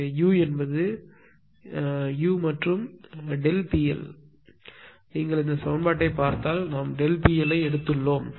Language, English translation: Tamil, So, u and delta P L, but if you look at this equation just hold on just hold on this is also we have taken delta P L